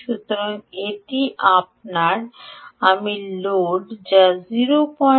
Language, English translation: Bengali, so that is your i load, which is point eight amps